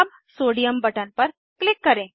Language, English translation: Hindi, Let us click on Sodium button